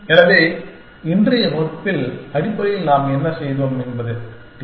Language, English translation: Tamil, So, in today's class basically what we have done is, looked at the TSP problem